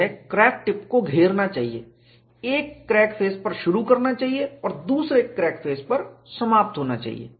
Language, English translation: Hindi, I can choose any convenient path; it should enclose the crack tip, start at one crack face and end at another crack face